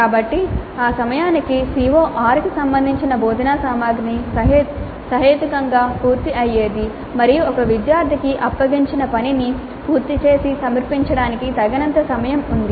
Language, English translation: Telugu, So by the time the instructional material related to CO6 would have been completed reasonably well and the student has time enough to complete the assignment and submit it